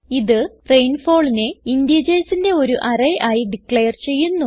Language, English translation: Malayalam, This declares rainfall as an array of integers